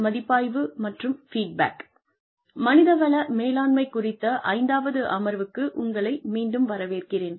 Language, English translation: Tamil, Welcome back, to the Fifth Session, on Human Resources Management